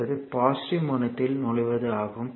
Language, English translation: Tamil, So, it is it is entering into the positive terminal